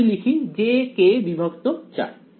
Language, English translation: Bengali, So, I will write j k by 4